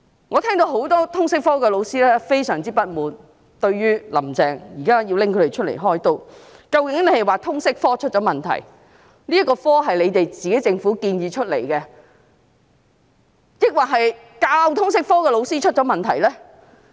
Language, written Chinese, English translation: Cantonese, 我聽到很多通識科老師表示，對於"林鄭"現時拿他們"開刀"，感到非常不滿，究竟她是說通識科出了問題——這學科是政府建議的——還是教授通識科的老師出了問題呢？, I heard many LS teachers express their grave discontent that Carrie LAM is now targeting them . Did she mean LS has gone wrong―this subject was the Governments own proposal―or the LS teachers have gone wrong?